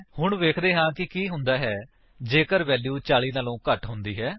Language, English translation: Punjabi, Let us see what happens if the value is less than 40